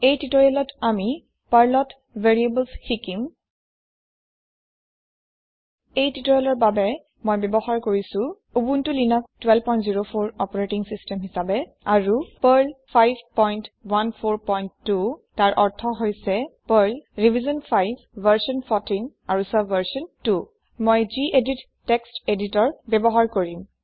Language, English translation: Assamese, In this tutorial, we will learn about Variables in Perl I am using Ubuntu Linux12.04 operating system and Perl 5.14.2 that is, Perl revision 5 version 14 and subversion 2 I will also be using the gedit Text Editor